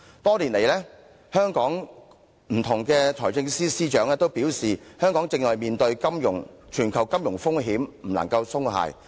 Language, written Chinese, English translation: Cantonese, 多年來，香港不同的財政司司長均表示，香港正面對全球金融風險，不能鬆懈。, Over the years different Financial Secretaries of Hong Kong all pointed out that Hong Kong faces global financial risks and that we should not lower our guard